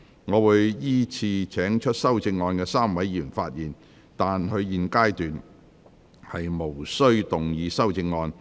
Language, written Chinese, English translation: Cantonese, 我會依次請提出修正案的3位議員發言，但他們在現階段無須動議修正案。, I will call upon the three Members who have proposed amendments to speak in sequence but they may not move amendments at this stage